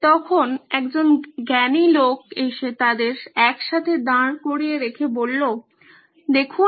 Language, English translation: Bengali, What then came along a wise man put them altogether and said, Look